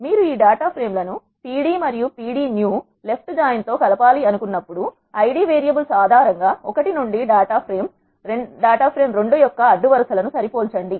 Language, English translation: Telugu, When you want to combine this 2 data frames pd and pd new a left join joins, matching rows of data frame 2 to the data from 1 based on the Id variables